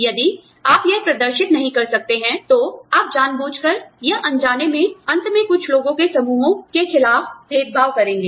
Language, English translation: Hindi, If you cannot demonstrate that, then you have intentionally, or unintentionally, ended up discriminating against, certain groups of people